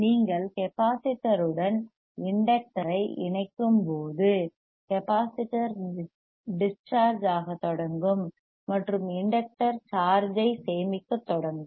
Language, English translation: Tamil, wWhen you connect the inductor with the capacitor, this plate will charge the capacitor will starts discharging and inductor will starts storing the charge right; inductor will start storing the charge